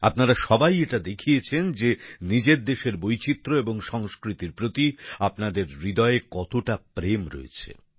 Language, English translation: Bengali, You all have shown how much love you have for the diversity and culture of your country